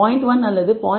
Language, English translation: Tamil, 1 or 0